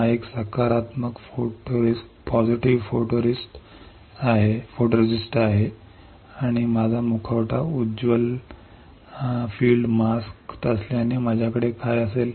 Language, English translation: Marathi, Since this is a positive photoresist and my mask is bright field mask what will I have